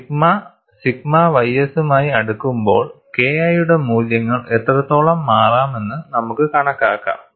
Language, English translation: Malayalam, We can also estimate, when sigma is closer to sigma ys to what extent the values of K 1 can change